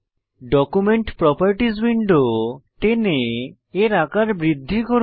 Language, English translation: Bengali, I will drag the Document Properties window to maximize it